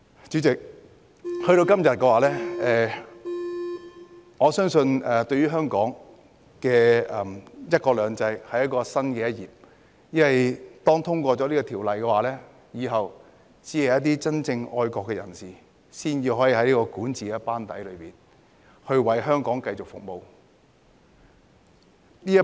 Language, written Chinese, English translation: Cantonese, 主席，來到今天，我相信這對香港的"一國兩制"是新的一頁，因為《條例草案》通過後，只有真正愛國的人士才能加入管治班底，繼續為香港服務。, President in this day and age I believe this is a new page for one country two systems in Hong Kong because after the passage of the Bill only those who are truly patriotic can join the governing team and continue to serve Hong Kong